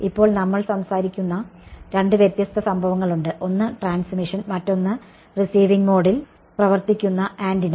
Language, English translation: Malayalam, Now, there are two different cases that we will talk about: one is transmission and the other is the antenna operating in receiving mode